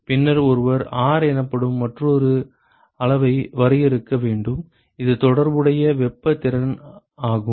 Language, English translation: Tamil, And then, one needs to define another quantity called R which is the relative thermal capacity